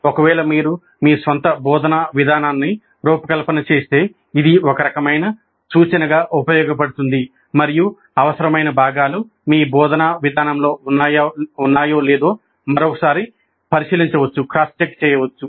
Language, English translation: Telugu, In case you design your own instructional approach, this can serve as a kind of a reference against which you can cross check and see whether the required components are all present in your instructional approach